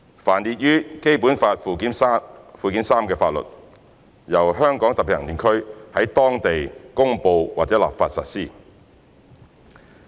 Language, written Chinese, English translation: Cantonese, 凡列於本法附件三之法律，由香港特別行政區在當地公布或立法實施。, The laws listed therein shall be applied locally by way of promulgation or legislation by the Region